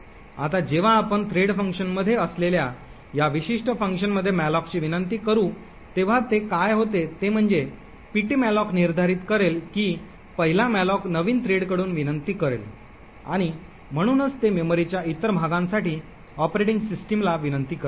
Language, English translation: Marathi, Now when we invoke malloc in this particular function that is in the thread function what would happen is that ptmalloc would determine that the 1st malloc request from the new thread and therefore it would request the operating system for other chunk of memory